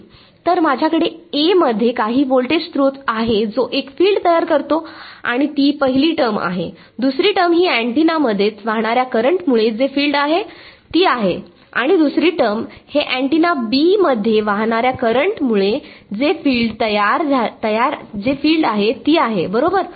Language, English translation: Marathi, So, I have some voltage source in A which is generating a field and that is the first term, the second term is the field due to the current flowing in the antenna itself and the second term is the field due to the current in antenna B right